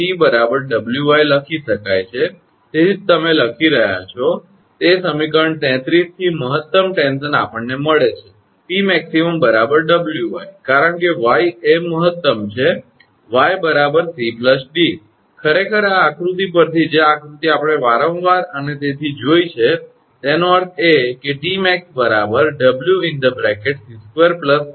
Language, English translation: Gujarati, That means, this equation can be written T is equal to y into W that is why you are writing that that is the maximum tension from equation 33 we get T max is equal to W into y because y is the maximum one, y is equal to c plus d actually from this figure that figure we have seen again and again so; that means, T max we can write W into y this is equation 41 and y is equal to root over c square plus s square; that means, T max is equal to then we can write again W into root over c square plus square this is equation 42